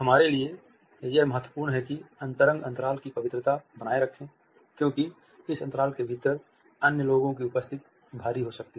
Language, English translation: Hindi, It is significant for us to keep the sanctity of the intimate space because the presence of other people within this space may be overwhelming